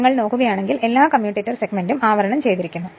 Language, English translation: Malayalam, If you look into this that all commutator segments are insulated right